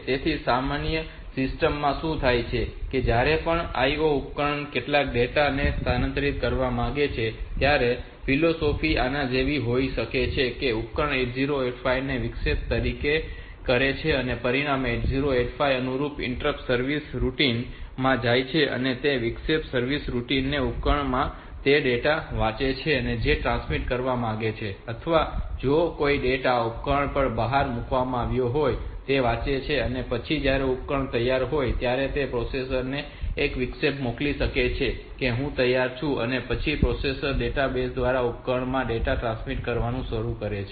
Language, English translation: Gujarati, So, in a normal system what happens is that whenever the IO device wants to transfer some data so the philosophy maybe like this; that the, device sense and interrupt to the 8085 and as a result of 8085 goes into the corresponding interrupt service routine and that interrupt service routine it reads from the device the data that it wants to transmit or if there is some data to be out put it to a device then the when the device is ready can send an interrupt to the processor telling that i am ready and then the processor can start transmitting the data to the device through the database